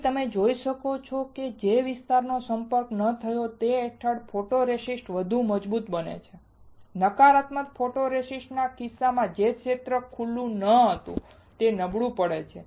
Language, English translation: Gujarati, Here you can see that the photoresist under the area which was not exposed becomes stronger and in the negative photoresist case the area not exposed becomes weaker